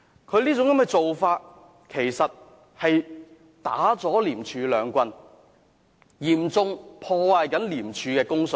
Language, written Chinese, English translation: Cantonese, 他這種做法其實是打了廉署兩棒，嚴重破壞廉署的公信力。, What he has done is actually a blow to ICAC and he has seriously undermined ICACs credibility